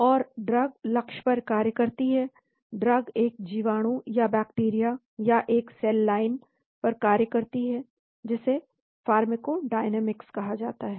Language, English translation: Hindi, And the drug acts on the target, drug acts on a bacteria or a cell line that is called the pharmacodynamics